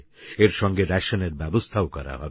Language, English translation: Bengali, In addition, rations will be provided to them